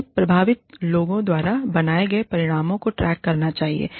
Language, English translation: Hindi, They should track outcomes, created by those affected, by them